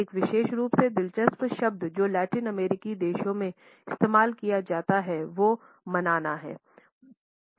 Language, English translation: Hindi, A particularly interesting word which is used in Latin American countries is Manana